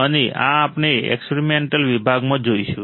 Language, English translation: Gujarati, And this we will see in the experimental section